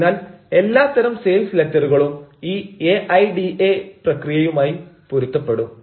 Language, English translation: Malayalam, so all sorts of sales letter will confirm to this aida process